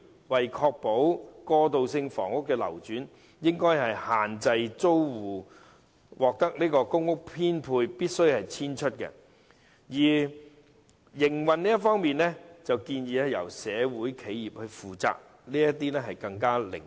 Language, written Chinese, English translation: Cantonese, 為確保過渡性房屋的流轉，當局應該規定租戶倘獲編配公屋便必須遷出，營運方面則建議由社會企業負責，便會更為靈活。, To ensure the turnover of transitional housing the authorities should require tenants to move out once they are allocated a PRH unit . It is suggested that transitional housing should be run by social enterprises to ensure operation flexibility